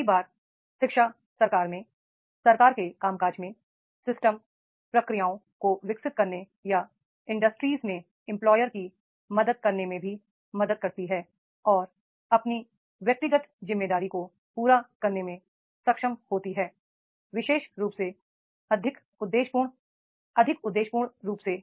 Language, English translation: Hindi, Many times education also help in the government, in the functioning of the government, in the developing the systems procedures or to the helping to the employer in the industries and also able to fulfill his individual responsibility more specifically, more objectively, more objectively, more purposefully